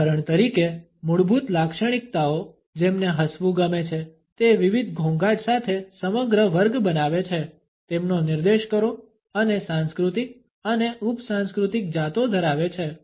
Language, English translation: Gujarati, The basic characteristics for example, point to those which like laughing form a whole class with different nuances and also possess cultural and subcultural varieties